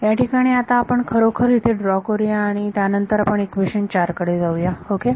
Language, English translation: Marathi, Let us draw it actually down here like this right now let us then go to equation 4 ok